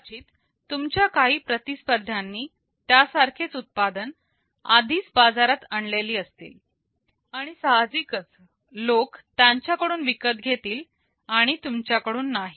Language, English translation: Marathi, Maybe some of your competitors already have hit the market with a similar product, and people will buy naturally from them and not from you